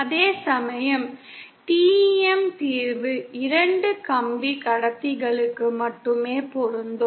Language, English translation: Tamil, Whereas the TEM solution is applicable only for two wire conductors